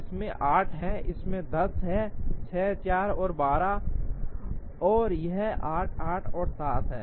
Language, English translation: Hindi, This has 8, this has 10 6, 4 and 12, and this is 8, 8 and 7